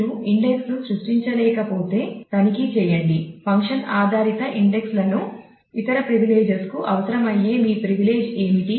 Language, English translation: Telugu, So, also check if you are not being able to create an index check what is your privilege that exists function based indexes require other privileges; please check on that